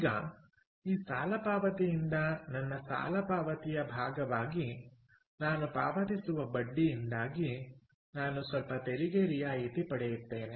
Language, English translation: Kannada, now, out of this loan payment i will get some tax rebate because of the interest that i pay as part of my loan payment clear